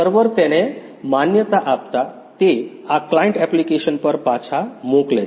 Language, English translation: Gujarati, After the server recognized it, it send back to this client app